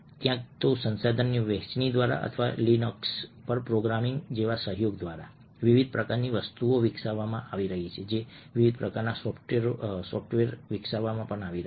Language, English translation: Gujarati, because a lot of very exciting and interesting things happen, either through the sharing of resources or through collaborative, like programming on linux, different kinds of things being developed, different kinds of software being developed